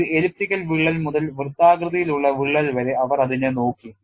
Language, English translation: Malayalam, They have looked at it for an elliptical, from an elliptical crack to a circular crack